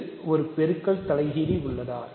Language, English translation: Tamil, Does it have a multiplicative inverse